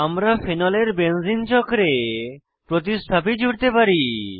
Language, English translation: Bengali, We can add substituents to the benzene ring of phenol